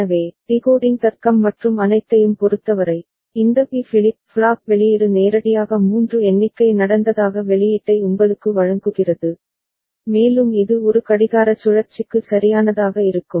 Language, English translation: Tamil, So, regarding the decoding logic and all, this B flip flop output directly gives you the output that a count of 3 has taken place and it will remain high for one clock cycle right